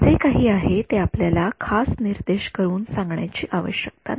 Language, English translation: Marathi, So, whatever it is we do not need to specify it